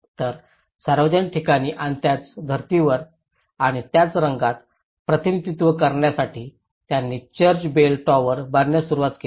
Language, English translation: Marathi, So, they started building a church bell tower to represent a public place and in the same pattern and the same colour